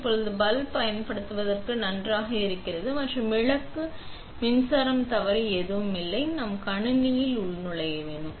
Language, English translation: Tamil, Now that the bulb is ok to use and there is nothing wrong with the bulb and the power supply, we want to log into the system